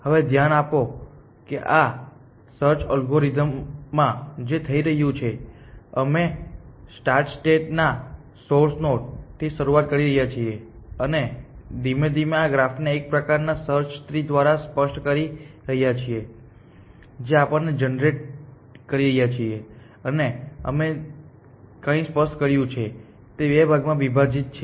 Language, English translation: Gujarati, Now, notice that what is happening in this search algorithm we are starting with the source node of the start state and we are gradually making this implicit graph explicit essentially by a kind of a search tree that we are generating and whatever we have made explicit is divided into two parts